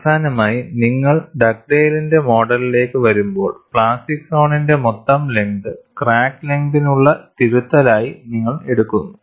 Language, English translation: Malayalam, Finally, when you come to Dugdale’s model, you take the total length of the plastic zone as the correction for crack length